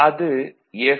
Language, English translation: Tamil, This is Y